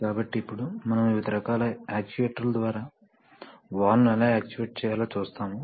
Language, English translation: Telugu, So now, next we come to the various kinds of actuators how to actuate the valve